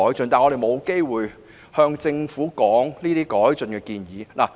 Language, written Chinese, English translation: Cantonese, 可是，我們沒有機會向政府表達這些改進的建議。, However we have no chance to make improvement suggestions to the Government